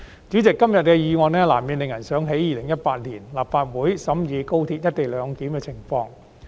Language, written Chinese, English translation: Cantonese, 主席，今天的議案難免令人想起2018年立法會審議廣深港高速鐵路"一地兩檢"的情況。, President todays motion has inevitably reminded us of what happened in 2018 when this Council deliberated on the co - location arrangement at the Guangzhou - Shenzhen - Hong Kong Express Rail Link XRL